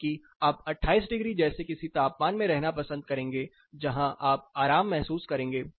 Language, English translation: Hindi, Whereas, you would prefer being in a temperature of something like 28 degrees, where you would express comfort